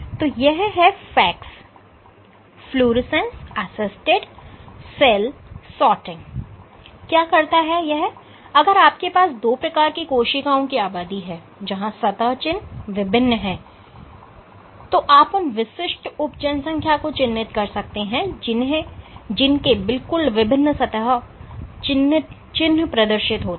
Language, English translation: Hindi, So, what FACS does is if you have two populations of cells, where the surface markers are different, you can label these individual subpopulations which exhibit distinct surface markers